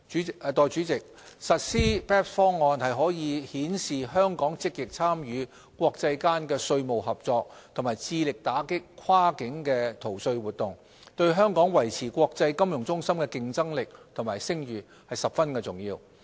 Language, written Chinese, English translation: Cantonese, 代理主席，實施 BEPS 方案可顯示香港積極參與國際間的稅務合作和致力打擊跨境逃稅活動，對香港維持國際金融中心的競爭力和聲譽十分重要。, Deputy President the implementation of the BEPS package will demonstrate Hong Kongs active participation in international taxation cooperation and its commitment to combating cross - border tax evasion . This is particularly crucial to Hong Kong in preserving our competitiveness and reputation as an international financial centre